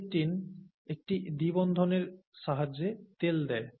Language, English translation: Bengali, And C18, with a single double bond gives you oil